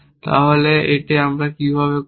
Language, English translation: Bengali, So, how do we do this